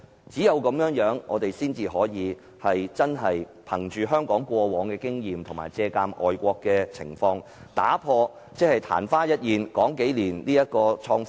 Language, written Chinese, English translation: Cantonese, 這樣，我們才能汲取香港過往經驗及借鑒外國的情況，以打破曇花一現的情況。, Only in this way can we learn from the past experience of Hong Kong and draw lessons from the situation in foreign countries in order to change the fleeting phenomenon